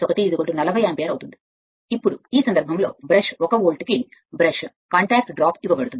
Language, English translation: Telugu, So, 40 ampere, now in this case, the brush contact drop is given per brush 1 volt